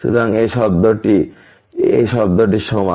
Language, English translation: Bengali, So, this term is equal to this term